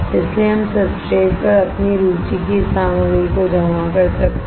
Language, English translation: Hindi, So, that we can deposit this material of our interest onto the substrate